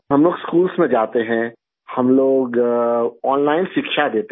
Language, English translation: Urdu, We go to schools, we give online education